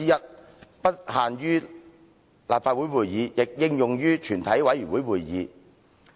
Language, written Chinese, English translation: Cantonese, 此規定不應限於立法會會議，亦應用於全體委員會會議。, This requirement should be applicable to the proceedings of the committee of the whole Council instead of being confined to Council meetings